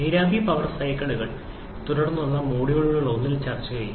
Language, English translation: Malayalam, Vapor power cycles will be discussed in one of the subsequent module